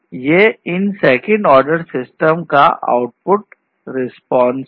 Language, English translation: Hindi, These are the second order systems